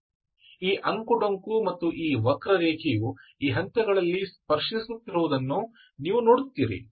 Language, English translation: Kannada, So you see that this curve and this curve is touching at these points, okay